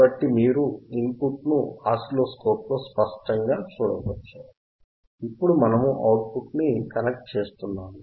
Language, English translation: Telugu, So, you can see clearly on oscilloscope the input signal, now we are connecting the output right